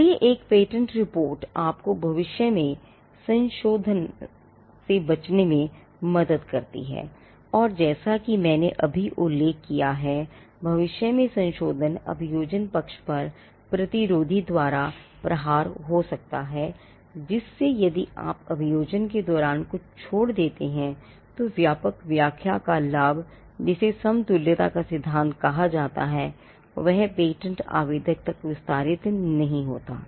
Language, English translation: Hindi, So, a patentability report can help you to avoid a future amendment, and a future amendment as I just mentioned could be hit by the prosecution history estoppel, whereby if you give up something during the course of prosecution, the benefit of a broader interpretation which is what was referred to as the doctrine of equivalence will not be extended to the patent applicant